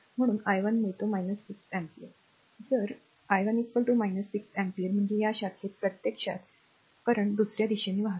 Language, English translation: Marathi, Therefore, i 1 we get minus 6 ampere if we will get i 1 is equal to minus 6 ampere means the current actually in this branch flowing in other direction